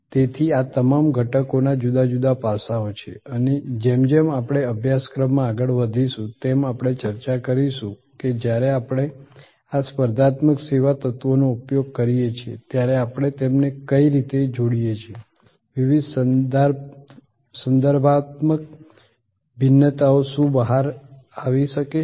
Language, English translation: Gujarati, So, all these elements therefore, have different aspects and as we go along the course we will discuss that when we deployed this competitive service elements, what are the ways we combine them, what are the different contextual variations that may come up out